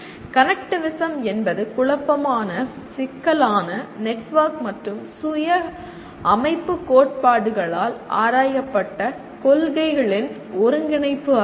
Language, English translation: Tamil, Connectivism is the integration of principles explored by chaos, network and complexity and self organization theories